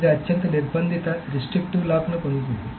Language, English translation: Telugu, It will get the most restrictive lock